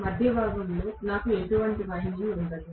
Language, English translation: Telugu, In the middle portion I will not have any winding at all